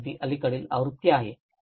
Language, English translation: Marathi, So, this is a very recent edition